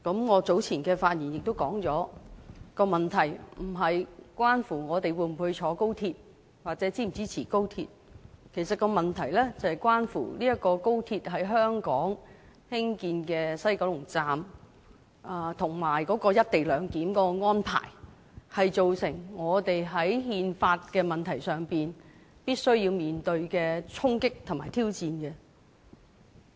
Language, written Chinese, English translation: Cantonese, 我早前的發言亦指出了問題不是關乎我們會否乘坐高鐵或是否支持高鐵，問題是關乎這條高鐵在香港西九龍站"一地兩檢"的安排，造成我們在憲法的問題上必須面對衝擊和挑戰。, In the speech delivered earlier on by me I pointed out that the issue is not about whether or not we will travel by or support the Express Rail Link XRL or not the issue is about the impacts and challenges to the constitution that we must face as a result of the co - location arrangement for XRL to be introduced at the West Kowloon Station WKS in Hong Kong